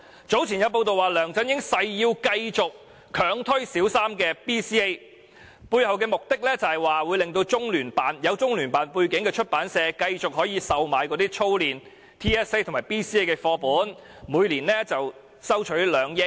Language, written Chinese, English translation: Cantonese, 早前有報道指梁振英誓要繼續強推小三 BCA， 背後目的是讓具有中央人民政府駐香港特別行政區聯絡辦公室背景的出版社可以繼續售賣操練 TSA 及 BCA 的課本，每年賺取2億元。, It was reported earlier that LEUNG Chun - ying was determined to conduct BCA in Primary Three because some publishers related to the Liaison Office of the Central Peoples Government in HKSAR could then continue to sell TSA and BCA exercises and earn an annual profit of 200 million